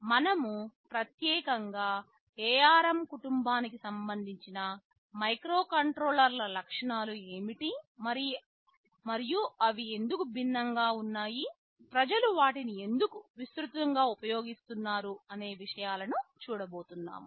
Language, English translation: Telugu, We shall specifically see what are the features that are inside the ARM family of microcontrollers and why they are different, , why people are using them so widely